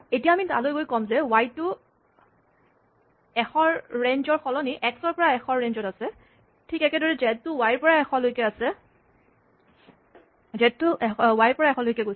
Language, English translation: Assamese, So, what I do is, I go back, and I say that, y is not in range 100, but y is in range x to 100, and z is in range y to 100